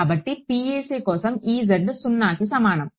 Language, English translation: Telugu, So, for a PEC E z is equal to 0